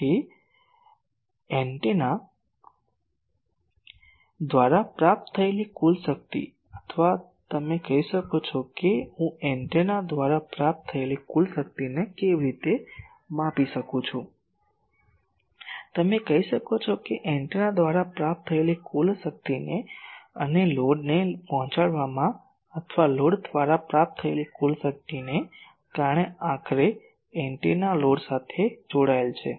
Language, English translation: Gujarati, So, total power received by the antenna, or you can say how do I measure total power received by the antenna, you can say total power received by the antenna and delivered to the load, or total power received by the load, because ultimately the antenna will be connected to a load